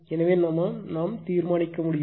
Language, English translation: Tamil, So, you can verify